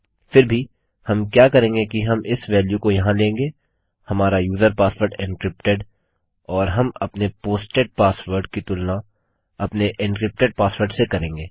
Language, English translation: Hindi, Anyway what well do is well be taking this value here our user password encrypted and well compare our posted password to our encrypted password